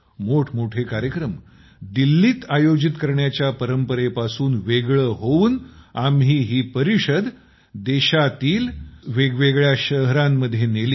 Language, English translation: Marathi, Moving away from the tradition of holding big events in Delhi, we took them to different cities of the country